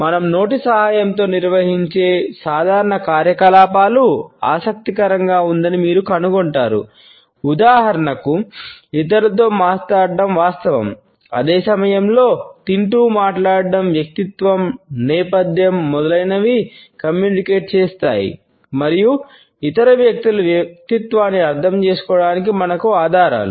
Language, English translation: Telugu, You would find that it is interesting to note that even the routine activities which are conducted with the help of our mouth, for example, is speaking to others the very fact of a speech, at other same time talking even eating communicate a lot about the personality, the background, etcetera and our like clues to understanding the personality of other people